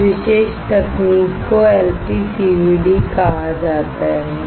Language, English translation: Hindi, This particular technique is also called LPCVD